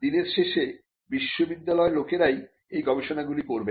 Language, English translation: Bengali, So, at the end of the day it is the people in the university who are going to do this research